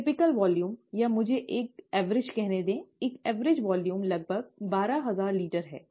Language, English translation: Hindi, The typical volume, or let me say an average, kind of an average volume is about twelve thousand litres